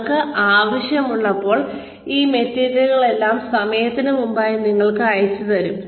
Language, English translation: Malayalam, Where you have, all of this material, sent to you ahead of time